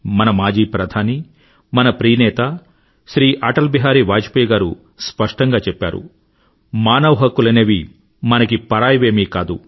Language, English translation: Telugu, Our most beloved leader, ShriAtalBihari Vajpayee, the former Prime Minister of our country, had clearly said that human rights are not analien concept for us